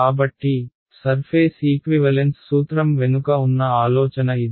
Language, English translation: Telugu, So, that is the idea behind the surface equivalence principle ok